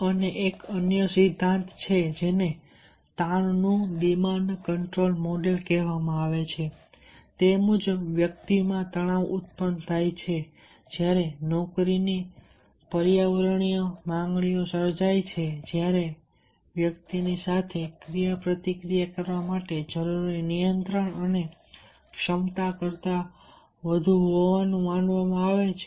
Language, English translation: Gujarati, and and there is a another theory which is called the demand control model of stress, and stress occurs in the individual when the environmental demands of the job are perceive, are perceived to exceed the control and the ability of the individual leaded to interact with these, those demands